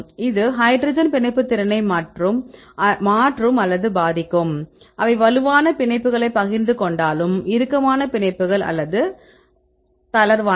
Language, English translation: Tamil, This will change or influence the hydrogen bonding ability, whether they share the strong bonds are the tight bonds or it is loose